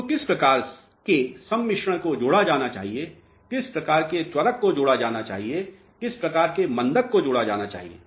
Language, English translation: Hindi, So, what type of admixture should be added, what type of accelerator should be added, what type of retarder should be added